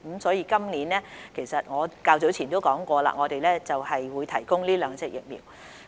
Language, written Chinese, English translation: Cantonese, 所以，我較早前已說過，政府今年會提供這兩款疫苗。, So as I said earlier the Government will provide these two vaccines this year